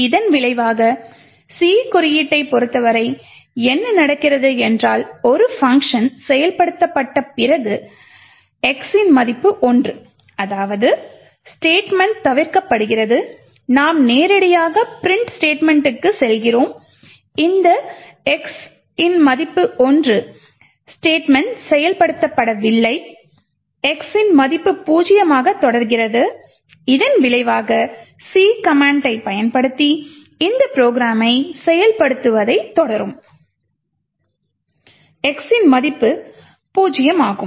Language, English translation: Tamil, As a result what is happening with respect to the C code is that after a function is invoked the x equal to 1 statement is getting skipped and we are directly going to the printf statement and since this x equal to 1 statement is not being executed the value of x continues to be zero and as a result when we actually continue the execution of this program using the C command which stands for continue to execute, then we get that the value of x is zero